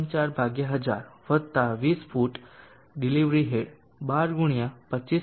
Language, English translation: Gujarati, 4/1000 + 20 feet of delivery head 12 into 25